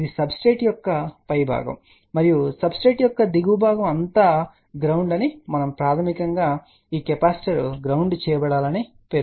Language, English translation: Telugu, Let us say this is the upper part of the substrate and the lower part of the substrate is all ground and basically this capacitor is to be grounded